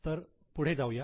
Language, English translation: Marathi, So, let us continue